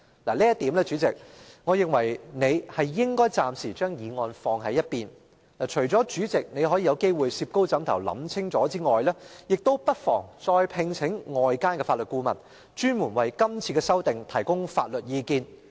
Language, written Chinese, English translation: Cantonese, 就這一點，主席，我認為你應暫時把擬議決議案擱在一邊，除了可以再加三思外，亦不妨再外聘法律顧問，專門為今次的修訂提供法律意見。, On account of this point President I believe you should set aside the proposed resolution for the time being . In addition to allowing us to think twice we can also hire external legal advisers to offer a legal opinion specifically on the amendments this time around